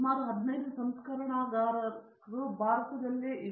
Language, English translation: Kannada, Nearly 15 refineries are there and all those things